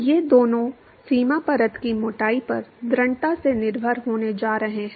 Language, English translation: Hindi, These two are going to strongly depend upon the boundary layer thickness